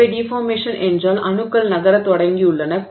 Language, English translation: Tamil, Okay, so in plastic deformation, atoms have begun to move